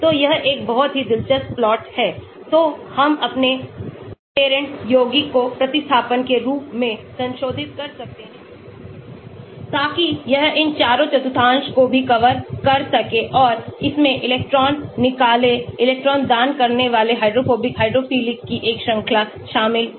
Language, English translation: Hindi, so this is a very interesting plot, so we can modify our parent compound by having substituents so that It covers all these four quadrants as well and it covers a range of electron withdrawing, electron donating hydrophobic, hydrophilic